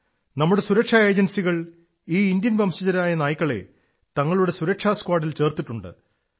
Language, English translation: Malayalam, Now, our security agencies are also inducting these Indian breed dogs as part of their security squad